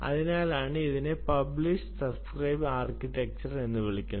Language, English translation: Malayalam, that's why it's called the publish subscribe architecture